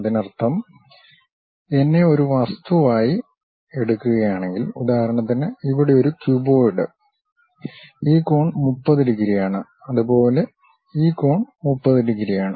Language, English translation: Malayalam, That means if I am taken an object, for example, here cuboid; this angle is 30 degrees; similarly this angle is 30 degrees